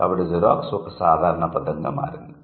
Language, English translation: Telugu, So, this Xerox has become a generified word